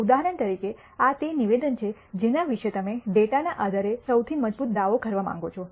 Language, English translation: Gujarati, For example, this is the statement about which you want to make the strongest claim based on the data